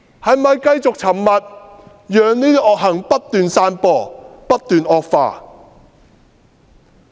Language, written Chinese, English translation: Cantonese, 是否繼續沉默，讓惡行不斷散播和惡化？, Should they continue to remain silent and allow evil deeds to spread and worsen?